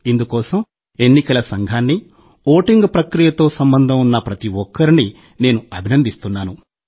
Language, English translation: Telugu, For this, I congratulate the Election Commission and everyone involved in the voting process